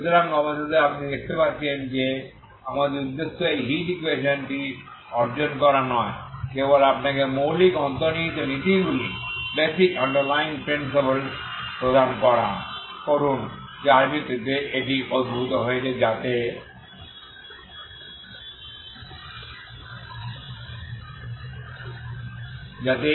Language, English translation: Bengali, So finally you see that our intention is not to derive this heat equation just give you the basic underlying principles based on which this is derived so you have a ut